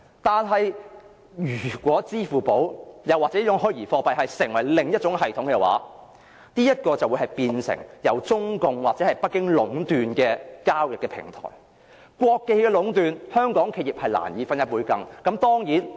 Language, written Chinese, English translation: Cantonese, 但是，如果採用支付寶或虛擬貨幣作為另一種系統的話，便會變成由中共或北京壟斷的交易平台，一旦被國企壟斷，香港企業是難以分一杯羹的。, However if Alipay or a virtual currency is used as an alternative system it will become a transaction platform monopolized by Beijing or the Communist Party of China and once it is monopolized by state - owned enterprises Hong Kong enterprises can hardly obtain a slice of the pie